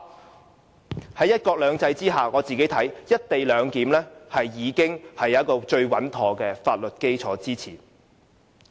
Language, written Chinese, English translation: Cantonese, 就我看來，在"一國兩制"之下，"一地兩檢"已經得到最穩妥的法律基礎支持。, As I see it under one country two systems the co - location arrangement is built on the soundest legal basis